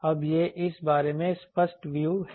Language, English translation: Hindi, Now, this is the more clearer view of this